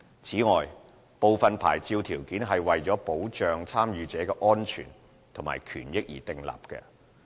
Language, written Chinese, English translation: Cantonese, 此外，部分牌照條件是為了保障參與者的安全和權益而訂立。, In addition there are licence conditions that are formulated to protect the safety and rights of the participants